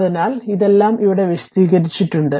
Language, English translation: Malayalam, So, this is all have been explained here